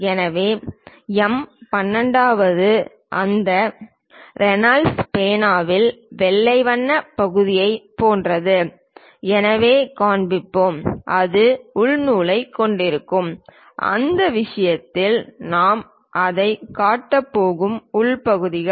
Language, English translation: Tamil, So, M 12 we will show if it is something like the white color portion of that Reynolds pen, which is having internal thread then in that case internal portions we are going to show it